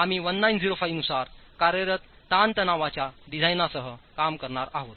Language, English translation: Marathi, We will be dealing with the design, the working stress design as per 1905